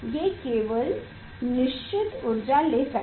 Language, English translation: Hindi, It can take only particular energy